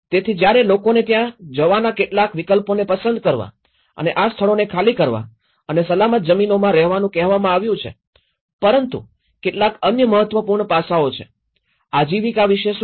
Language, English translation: Gujarati, So, when people have been asked to get some you know, options of going there going into the land and vacate these places and stay in a safer lands but there are some other important aspects, what about the livelihoods